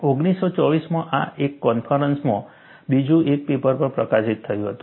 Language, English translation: Gujarati, There was also another paper published in a conference in 1924